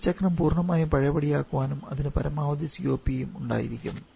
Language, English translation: Malayalam, This cycle is completely reversible then it is going to have the maximum COP